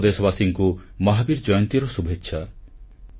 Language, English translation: Odia, I extend felicitations to all on the occasion of Mahavir Jayanti